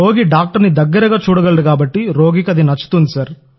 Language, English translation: Telugu, The patient likes it because he can see the doctor closely